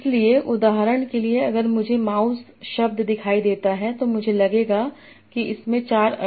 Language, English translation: Hindi, So, for example, if I see the word mouse, so I'll find it has four senses